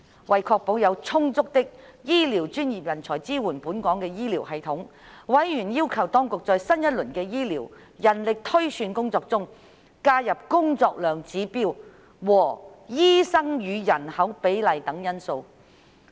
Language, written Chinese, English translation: Cantonese, 為確保有充足的醫護專業人才支援本港的醫療系統，委員要求當局在新一輪的醫療人力推算工作中，加入工作量指標和醫生與人口比例等因素。, In order to ensure an adequate pool of professional health care talents to support the health care system in Hong Kong members urged the Administration to include workload indicators and a doctor - to - population ratio among other factors in its new round of health care manpower projection